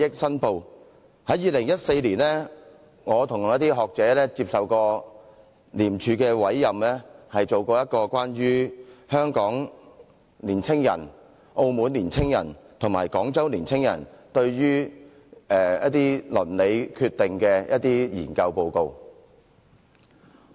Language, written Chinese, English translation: Cantonese, 在2014年，我與一些學者曾接受廉署委任，進行一個有關香港年輕人、澳門年輕人和廣州年輕人對鄰里決定的研究。, In 2014 I together with some scholars was appointed by ICAC to conduct a research on young people in Hong Kong Macao and Guangzhou regarding their attitude towards neighbourhood decision . Today I am not going to spend time on the result of that research